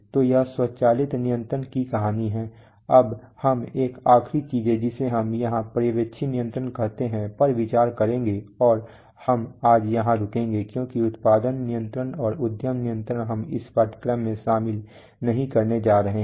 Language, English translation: Hindi, So this is the story of automatic control now we will, one last thing that we will consider here is supervisory control and we will stop here today, because production control and enterprise control or functions which can be, which we are not going to cover in great detail in this course